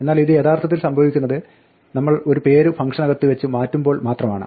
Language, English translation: Malayalam, But actually this happens only when we update the name inside the function